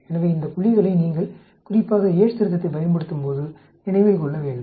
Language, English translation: Tamil, So these points you need to remember especially when you are using Yate's correction